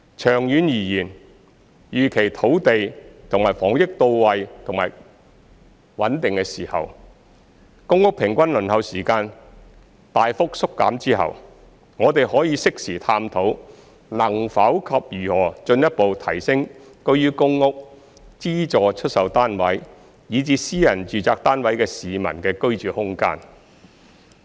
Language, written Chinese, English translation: Cantonese, 長遠而言，預期土地和房屋供應到位及穩定時，公屋平均輪候時間大幅縮減後，我們可適時探討能否及如何進一步提升居於公屋、資助出售單位以至私人住宅單位的市民的居住空間。, In the long run it is expected that when the land and housing supply becomes available and stable the average waiting time for PRH will be substantially reduced after which we can explore in due course whether and in what way the living space of people residing in PRH subsidized sale flats and private residential flats can be further increased